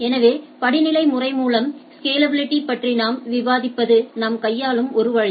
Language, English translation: Tamil, So, as we are discussing the scalability through hierarchy is one of the way we handle